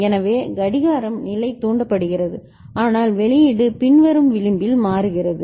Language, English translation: Tamil, So, the clock is level triggered, but the output is changing at the following edge ok